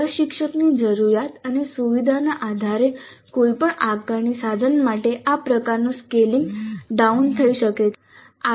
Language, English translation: Gujarati, So it's possible and this kind of a scaling down can happen for any assessment instrument based on the need and the convenience of the instructor